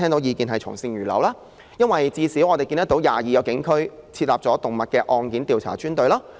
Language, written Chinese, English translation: Cantonese, 原因在於，現時至少有22個警區已設立動物案件調查專隊。, It is because at least 22 police districts have set up designated teams to carry out investigations into cases of cruelty to animals